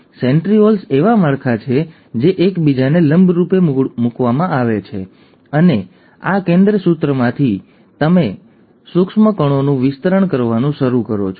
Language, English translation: Gujarati, Now these centrioles are structures which are placed perpendicular to each other, and it is from this centrosome that you start having extension of microtubules